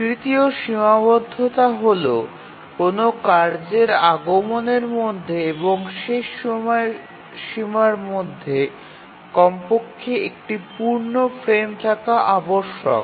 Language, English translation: Bengali, And the third constraint that we would need is that between the release time of a task and the deadline of the task, there must be at least one frame